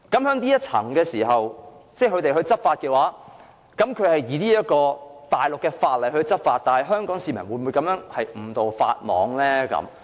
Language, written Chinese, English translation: Cantonese, 那麼，若容許內地當局在內地口岸區按內地法律執法，香港市民會否因而誤墮法網？, Hence if the Mainland authorities are allowed to take actions in the Mainland Port Area in accordance with the Mainland laws will Hong Kong citizens be caught inadvertently?